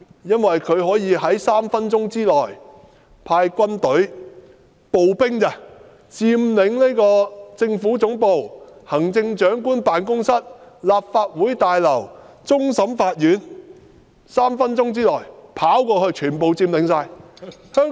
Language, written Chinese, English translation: Cantonese, 因為中央政府可以在3分鐘內派軍隊——步兵而已——佔領政府總部、行政長官辦公室、立法會大樓和終審法院，他們可於3分鐘內跑過去，全部可以佔領。, The purpose is to enable the Central Government to deploy its army infantry only in three minutes to occupy the Government Headquarters the Office of the Chief Executive the Legislative Council Complex and the Court of Final Appeal . They can rush there in three minutes and take over all these places